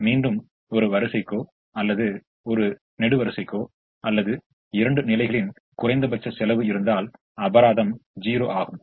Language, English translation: Tamil, again, if a row or a column has the minimum cost coming in two positions, the penalty is zero